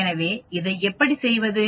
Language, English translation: Tamil, So how do you do this